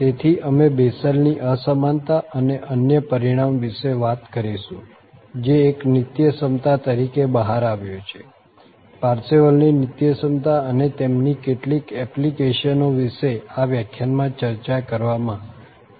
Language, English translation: Gujarati, So, we will be talking about the Bessel's Inequality and the other result which turned out to be an identity, the Parseval's Identity and some of their applications will be discussed in this lecture